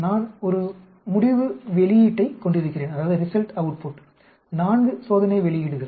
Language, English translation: Tamil, That if I am having a results output, four experimental outputs